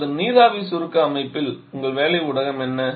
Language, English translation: Tamil, Now in vapour compression system what is your working medium